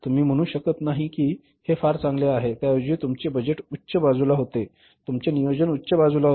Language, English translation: Marathi, So, the performance is not, you cannot say it is very good, rather your budgeting was on the higher side, your planning was on the higher side